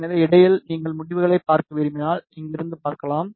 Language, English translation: Tamil, So, in between if you want to see the results, you can see from here